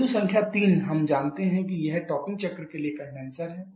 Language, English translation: Hindi, Ok point number 3 we know this is the this is the condenser for the topping cycle